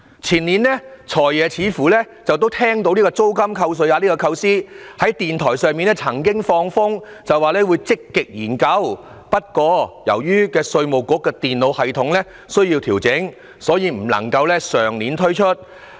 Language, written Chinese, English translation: Cantonese, 前年"財爺"似乎聽到租金扣稅額的構思，曾在電台節目放風聲說會積極研究，但由於稅務局的電腦系統需要調整，所以不能夠在上年推出。, Two years ago it seemed that the Financial Secretary had heard the idea of introducing tax deduction for rental payments and indicated in a radio programme that he would actively study the proposal but since adjustments had to be made to the computer system of the Inland Revenue Department the measure could not be introduced back then